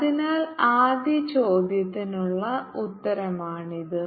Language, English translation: Malayalam, so this is the answer for the first questions